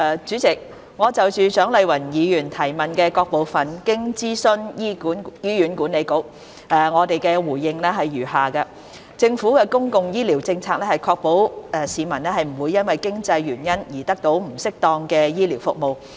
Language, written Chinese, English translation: Cantonese, 主席，就蔣麗芸議員質詢的各部分，經諮詢醫院管理局，我的答覆如下：政府的公共醫療政策是確保市民不會因經濟原因而得不到適當的醫療服務。, President in consultation with the Hospital Authority HA I provide a reply to the various parts of the question raised by Dr CHIANG Lai - wan as follows It is the Governments public healthcare policy to ensure that no one is denied adequate medical treatment due to lack of means